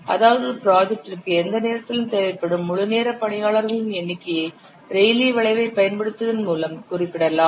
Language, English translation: Tamil, That means the number the number of full time personnel required at any time for a project can be represented by using a rally curve